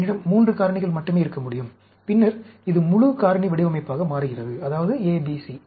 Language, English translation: Tamil, I can have only 3 factors, then, it becomes full factorial design, that means, A, B, C